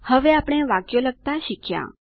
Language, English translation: Gujarati, We have now learnt to type sentences